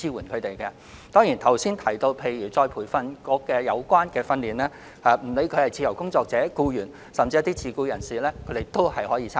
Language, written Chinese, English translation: Cantonese, 至於主體答覆所述的再培訓局培訓課程，不論是自由職業者、僱員，還是自僱人士，皆可參加。, As for the ERBs training courses mentioned in the main reply they are available to freelancers employees and the self - employed